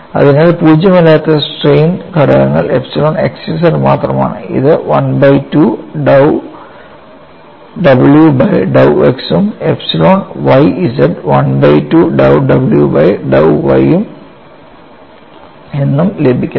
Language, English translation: Malayalam, So, the non zero strain components are only epsilon xz that is given as 1 by 2 dou w by dou x and epsilon yz is given as 1 by 2 dou w by dou y